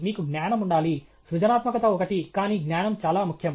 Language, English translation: Telugu, You should have knowledge; creativity is one, but knowledge is very important okay